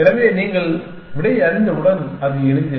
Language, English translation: Tamil, So, once you know the answer, it is simple